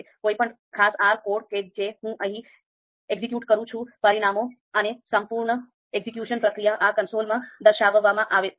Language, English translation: Gujarati, So any any particular R code that I execute here, the results and the whole execution process would actually be displayed in this console